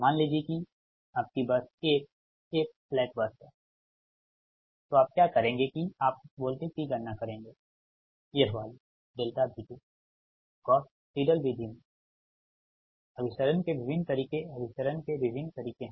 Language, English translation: Hindi, suppose your bus one is a slack bus, right, that what you will do, that you calculate that voltage, this one, delta v two, in the gauss seidel method there are ah different ways of convergence, ah different ways of convergence